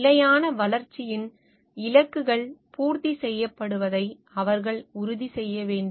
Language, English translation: Tamil, They should make sure that the goals of sustainable developments are met